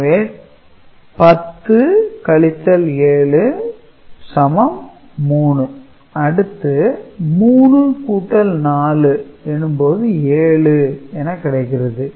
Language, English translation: Tamil, So, 10 minus 7 is 3 right